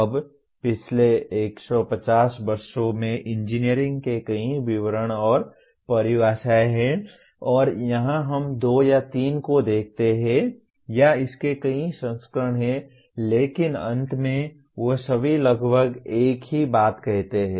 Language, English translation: Hindi, Now, there are several descriptions and definitions of engineering over the last maybe 150 years and here we look at two or three or there are several variants of this but in the end all of them they say approximately the same thing